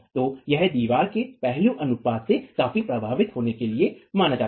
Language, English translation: Hindi, So, this is observed to be affected significantly by the aspect ratio of the wall